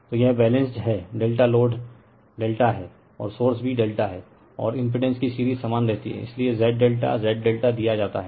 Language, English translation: Hindi, So, this is your balanced delta load is delta and source is also delta and series of impedance remains same right So, Z delta Z delta is given right